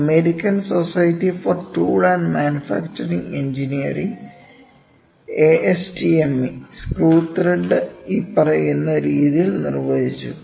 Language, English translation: Malayalam, AS the American Society for Tool and Manufacturing Engineering; ASTME defined the screw thread as following